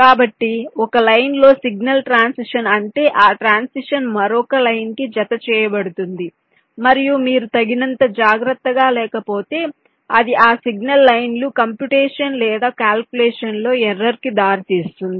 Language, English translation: Telugu, so because of that, if there is a signal transition on one line, that transition can get coupled to the other line and if are not careful enough, this can lead to an error in the calculation or computation which those signal lines are leading to